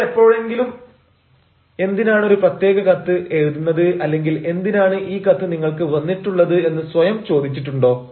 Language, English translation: Malayalam, have you ever asked yourself why you are writing a particular letter or why this letter has come to me